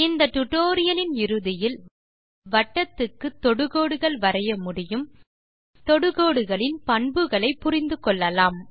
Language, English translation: Tamil, At the end of this tutorial you will be able to Draw tangents to the circle,Understand the properties of Tangents